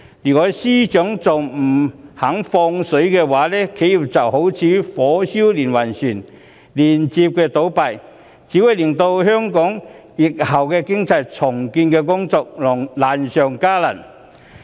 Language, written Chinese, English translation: Cantonese, 如果司長仍然不肯"放水"，企業就會如火燒連環船，接連倒閉，這只會令香港疫後的重建經濟工作難上加難。, If the Financial Secretary still refuses to offer reliefs enterprises will fall like dominoes closing down one after another making the post - epidemic recovery of the Hong Kong economy even more difficult